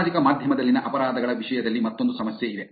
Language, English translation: Kannada, Here is another problem in terms of crimes on social media